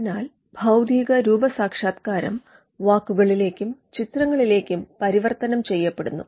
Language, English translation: Malayalam, So, the physical embodiment now gets converted into words and figures